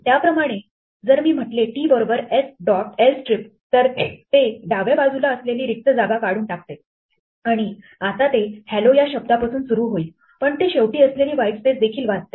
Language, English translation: Marathi, Similarly, if I say t is s dot l strip it will remove the ones to the left now t will start with hello, but it will read have the whitespace at the end